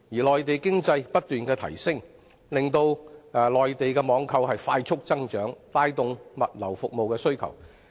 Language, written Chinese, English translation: Cantonese, 內地經濟不斷發展，令內地網購增長加快，帶動本港物流服務的需求。, The continuous development of the Mainland economy has accelerated the growth of its online shopping business thereby driving up the demand for Hong Kongs logistics services